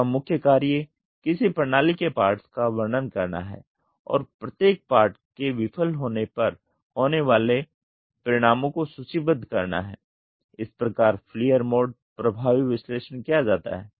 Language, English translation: Hindi, The basic method is to describe the parts of a system and list the consequences if each part fails, is done in this failure mode effective analysis